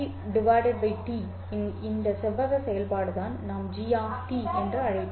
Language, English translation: Tamil, This rectangular function of T by T is what we had called as G of t